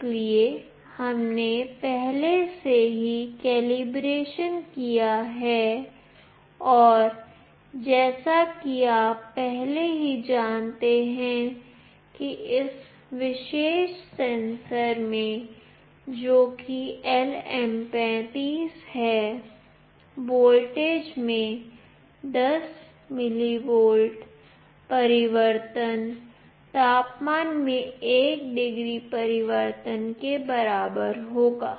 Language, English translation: Hindi, So, we have already done the calibration and as you already know that in this particular sensor that is LM35, 10 millivolt change in voltage will be equivalent to 1 degree change in temperature